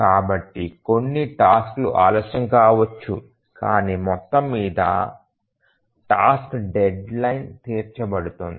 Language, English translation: Telugu, So, some of the tasks may get delayed, but then overall the task deadline will be met